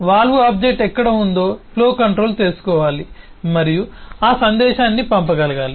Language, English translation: Telugu, flow controller must know where the valve object exists and it should be able to send that message